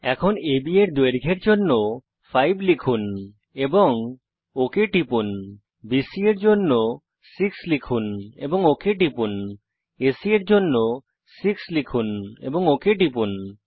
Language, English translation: Bengali, Lets Enter 5 for length of AB and click OK,6 for length of BC and click OK, 6 for length of AC and click OK